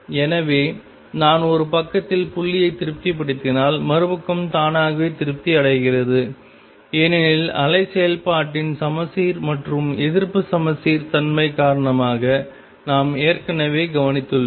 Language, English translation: Tamil, So, if I satisfy dot on one side the other side will automatically be satisfied, because of the symmetric and anti symmetric nature of wave function that we have already taken care of